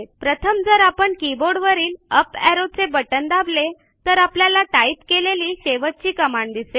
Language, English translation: Marathi, First, normally if you press the up key on your keyboard then it will show the last command that you typed